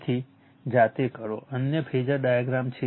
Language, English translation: Gujarati, You do it yourself, right other phasor diagram